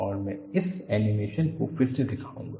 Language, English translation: Hindi, And, I would put this animation again